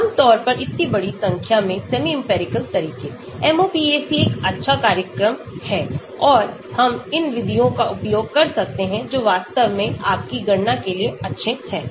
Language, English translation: Hindi, so large number of semi empirical methods generally, MOPAC is a good program and we can use these methods which are really good for your calculations